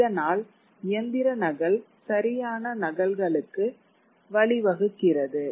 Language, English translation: Tamil, So, mechanical copying leads to exact copies